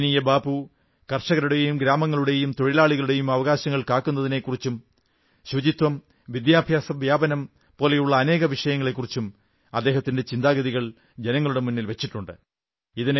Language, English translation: Malayalam, Revered Bapu, put forth his ideas on various subjects like Farmers, villages, securing of labour rights, cleanliness and promoting of education